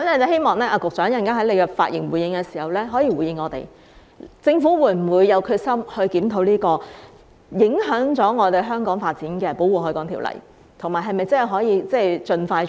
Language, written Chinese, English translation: Cantonese, 希望局長稍後發言時可以回應我們，政府會否有決心檢討這項影響香港發展的《條例》，以及是否真的可以盡快進行？, I hope the Secretary can respond in his upcoming speech whether the Government is determined to review the Ordinance which may have an impact on Hong Kongs development and whether it can be conducted as soon as possible